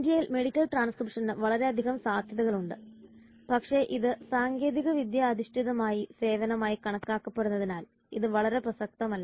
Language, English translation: Malayalam, There is immense potential for medical transcription in India but it is not very famous as it has been viewed as a technology oriented service